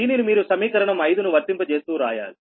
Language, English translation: Telugu, you have to apply the equation five